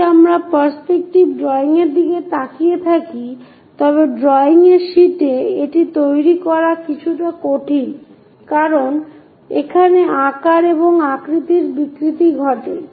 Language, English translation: Bengali, If we are looking at perspective drawing these are bit difficult to create it on the drawing sheets, size and shape distortions happens